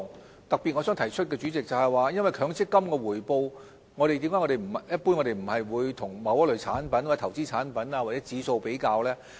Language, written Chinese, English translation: Cantonese, 我想特別提出的是，主席，為何我們一般不會將強積金的回報，與某一類產品、投資產品或指數作比較呢？, President I want to explain in particular why we generally do not compare MPF returns with the returns of any individual types of investment products or indices